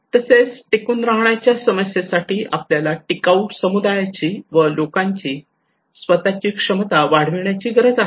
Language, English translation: Marathi, Also for the sustainability issues, sustainable community we need to improve peoples own capacity